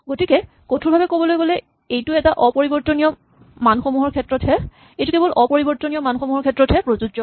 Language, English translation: Assamese, So strictly speaking this applies only to immutable values